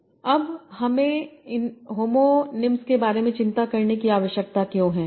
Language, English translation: Hindi, Now, why do we need to worry about these homonies